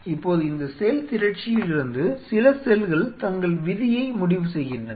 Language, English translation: Tamil, Now from this mass some of the cells decided that you know they will decide their own fate